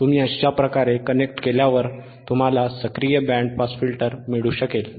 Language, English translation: Marathi, wWhen you connect like this, you can get an active band pass filter